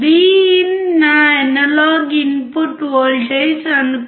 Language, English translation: Telugu, Suppose Vin is my analog input voltage